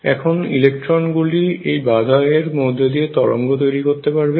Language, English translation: Bengali, And now electrons can tunnel through this barrier